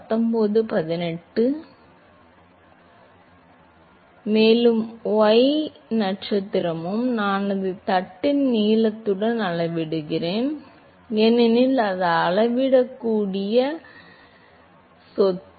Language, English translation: Tamil, And y star also, I scale it with the length of the plate, because that is the measurable property